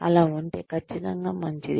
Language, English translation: Telugu, That is perfectly fine